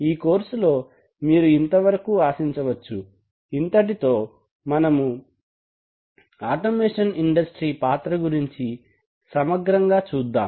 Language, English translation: Telugu, So this is what can be expected from this course, having clarified that let's first take a reasonable look on the role of automation industry